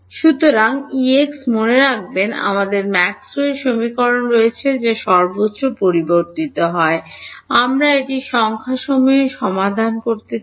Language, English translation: Bengali, So, E x so, remember we have Maxwell’s equations which are continuously varying everywhere, we want to solve it numerically